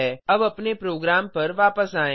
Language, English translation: Hindi, Now let us come back to our program